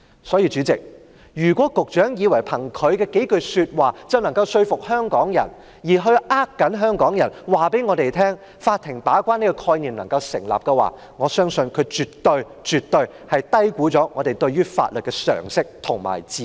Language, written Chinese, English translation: Cantonese, 所以，代理主席，如果局長以為憑他的數句話，便能夠說服香港人，欺騙香港人，法庭把關這個概念能夠成立，他絕對低估了我們對於法律的常識和智慧。, For this reason Deputy President if the Secretary believes that he can convince Hong Kong people or deceive Hong Kong people into thinking that the argument that courts will serve as gatekeepers is tenable he has certainly underestimated our common sense and wisdom about laws